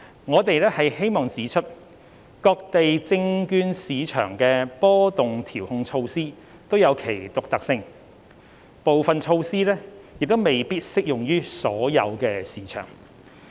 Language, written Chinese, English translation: Cantonese, 我們希望指出，各地證券市場的波動調控措施均具其獨特性，部分措施亦未必適用於所有市場。, We wish to point out that the volatility control measures adopted in securities markets around the world are unique and some of which may not be applicable to all